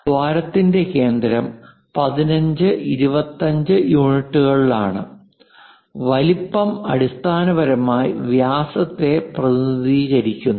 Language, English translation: Malayalam, The center of that hole is at that 15 and 25 units and the size basically diameter we usually represent